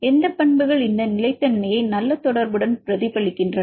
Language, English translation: Tamil, So, which properties reflect this stability with good correlation